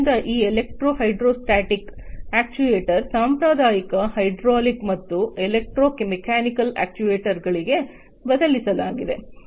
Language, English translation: Kannada, So, this electro hydrostatic actuator are a substitute to the traditional hydraulic and electromechanical actuators